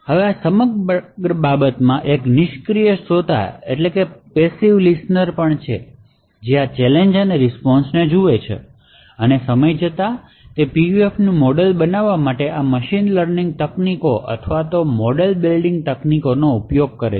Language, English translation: Gujarati, Now there is also a passive listener in this entire thing who views these challenges and the responses and over a period of time uses machine learning techniques or model building technique to build a model of that PUF